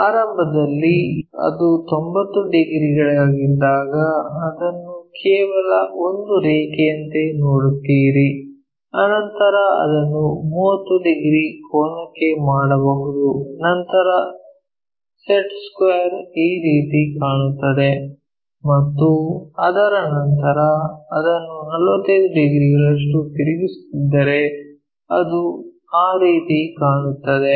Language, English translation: Kannada, Initially, when it is 90 degrees you just see it likeonly a line after that we can make it into a 30 degree angle then the square looks like this and after that if we are flipping it by 45 degrees it looks in that way